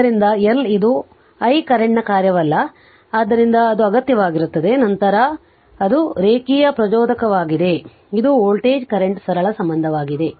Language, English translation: Kannada, So, L is not a function of I current right so it is an need then it is linear inductor right, so this the voltage current relationship simple it is